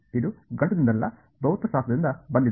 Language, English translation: Kannada, This will come from physics not math